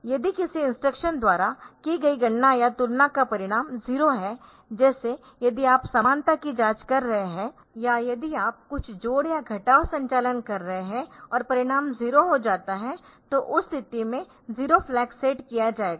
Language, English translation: Hindi, So, this is the result of computation or comparison performed by an instruction is 0 if the result is 0 like if you are doing the equality check or if you are doing some addition or subtraction operation and the result becomes 0 in that case the 0 flag will be same, then we have got sign flag s f